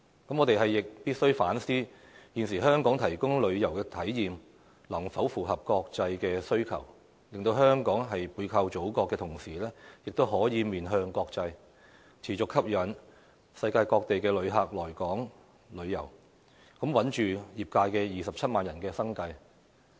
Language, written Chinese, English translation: Cantonese, 我們亦必須反思，現時香港提供的旅遊體驗，能否符合國際的需求，令香港在背靠祖國的同時，亦可面向國際，持續吸引世界各地的旅客來港旅遊，穩住業界27萬人的生計。, We must also reflect on whether the tourism experiences offered by Hong Kong today can cater for international demand so that while leveraging on the Motherland Hong Kong can still face the international community and continue to attract visitors from various places of the world to come here for leisure travel thereby maintaining the livelihood of some 270 000 people in the industry